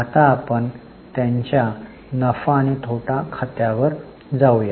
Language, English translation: Marathi, Now, let us go to their profit and loss account